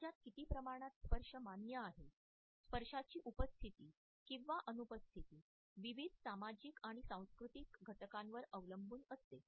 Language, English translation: Marathi, The presence or absence of touch the extent to which it is acceptable in a society depends on various sociological and cultural developments